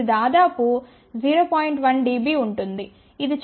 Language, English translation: Telugu, 1 dB which is pretty good